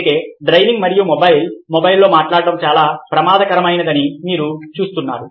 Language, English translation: Telugu, so that is why you see that driving on mobile i mean talking on the mobile can be very dangerous